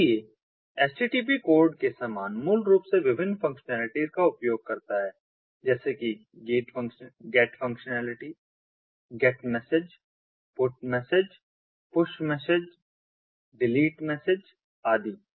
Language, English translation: Hindi, so similar to http code basically utilizes ah different functionalities, such as get functionality, get message, put message, ah ah, push message, delete message, etcetera